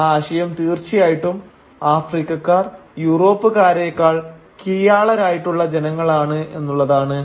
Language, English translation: Malayalam, The idea was of course that Africans were lesser human beings than Europeans